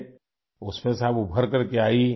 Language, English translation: Urdu, You emerged out of that